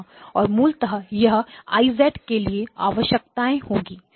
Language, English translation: Hindi, And basically this would be the requirements for I of z